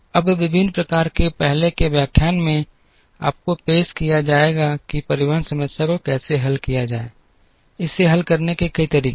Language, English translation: Hindi, Now, in earlier lectures in different courses, you would have been introduced to how to solve the transportation problem, there are many ways of solving it